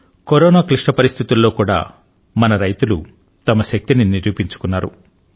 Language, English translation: Telugu, Even during these trying times of Corona, our farmers have proven their mettle